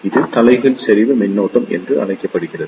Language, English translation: Tamil, This is known as the reverse saturation current